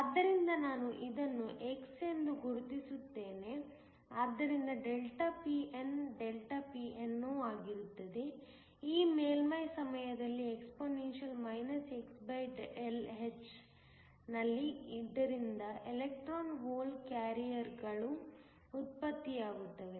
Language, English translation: Kannada, So, let me just mark this to be x, so that ΔPn is ΔPno, which is how many electron hole carriers that are generated at this surface times exp